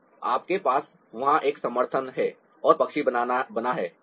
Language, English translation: Hindi, so you have a support there and the bird is made